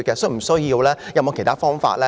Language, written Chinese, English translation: Cantonese, 是否有其他方法呢？, Is there any alternative?